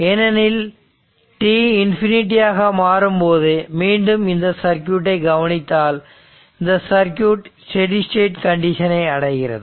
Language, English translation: Tamil, Because, when t tends to infinity, if you look into that, when t tends to infinity, the circuit reaches to steady state